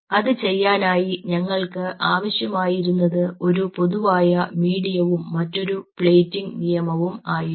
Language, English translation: Malayalam, so in order to do that, what we needed was a common medium and a different plating rules